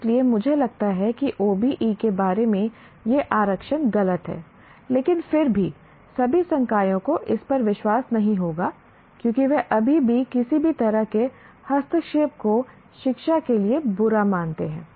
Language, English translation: Hindi, So, I feel that these reservations about OBE are misplaced, but still all faculty would not believe that because they still consider any kind of intervention or interference is bad for education